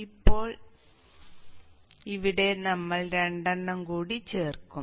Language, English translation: Malayalam, Now here we will add two more